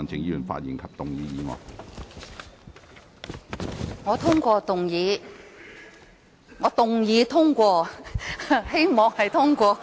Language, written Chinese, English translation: Cantonese, 主席，我通過動議......該說我動議通過，我也希望會通過。, President I pass the motion I should say I move that the motion I really hope that the motion would be passed